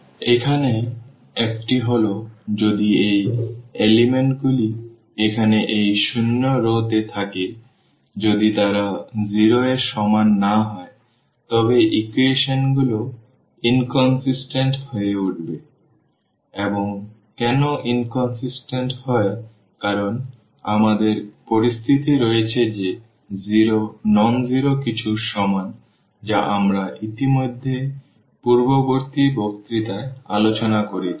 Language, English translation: Bengali, The one here is that if these elements here if these elements yeah if these elements here in this zero rows; if they are not equal to 0 and if they are not equal to 0 then the equations become inconsistent and why inconsistent because we have the situation that 0 is equal to something nonzero which we have already discussed in the previous lecture